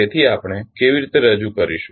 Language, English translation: Gujarati, So, how we will represent